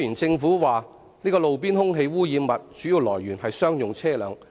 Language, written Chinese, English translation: Cantonese, 政府指路邊空氣污染物的主要來源是商用車輛。, The Government says that the major source of roadside air pollutants is commercial vehicles